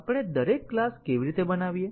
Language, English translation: Gujarati, How do we make each class